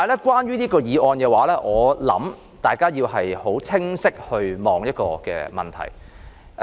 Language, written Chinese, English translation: Cantonese, 關於這項議案，我想大家要清晰地考慮一個問題。, Regarding this motion I implore Members to think thoroughly about one issue